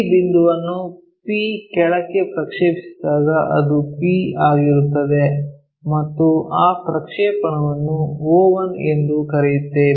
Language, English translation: Kannada, On the projection of this point P, all the way down is P and that projection all the way there we call o1